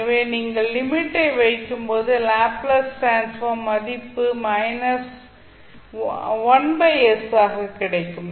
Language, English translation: Tamil, So, when you put the limit you will get the value of Laplace transform equal to 1 by s